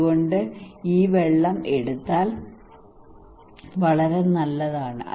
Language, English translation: Malayalam, So if you take this water is very good